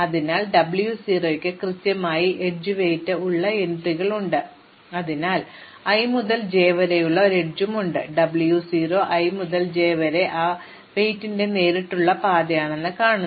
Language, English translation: Malayalam, So, W 0 has entries which are exactly the edge weight, so there is an edge from i to j, the W 0 i to j says that direct path of that weight